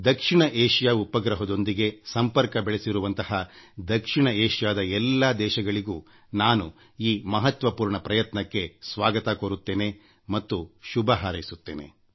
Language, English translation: Kannada, I welcome all the South Asian countries who have joined us on the South Asia Satellite in this momentous endeavour…